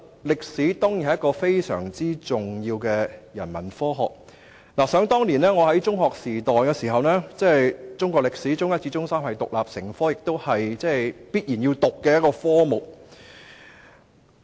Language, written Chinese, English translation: Cantonese, 歷史當然是非常重要的人文科學，而想當年在中學時代，中史在中一至中三是獨立成科的，同時亦是必須修讀的科目。, History is certainly a very important Humanities subject . During my secondary school days Chinese History was not only an independent subject from Form One to Form Three but was also made compulsory